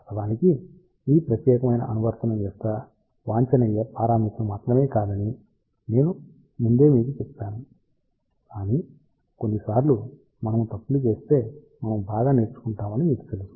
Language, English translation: Telugu, In fact, I will tell you beforehand only these are not the optimum parameters for this particular application, but sometimes you know we learn better if we make mistakes